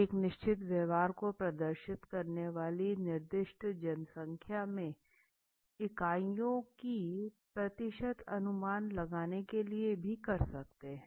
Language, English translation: Hindi, To estimate the percentage of units in a specified population exhibiting a certain behavior